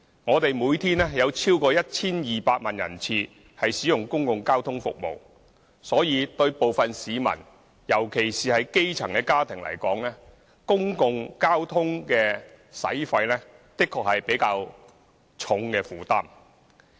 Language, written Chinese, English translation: Cantonese, 我們每天有超過 1,200 萬人次使用公共交通服務，對部分市民，特別是基層家庭而言，公共交通的開支確實是比較重的負擔。, Over 12 million passenger trips are made through public transport services every day and public transport expenses could indeed be a heavier burden to some members of the public grass - roots families in particular